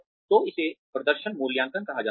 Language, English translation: Hindi, So, that is called as performance appraisal